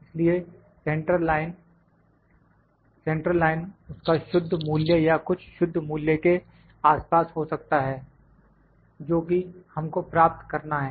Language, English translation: Hindi, So, centre line might it be the true value or something close to true value, so that we need to achieve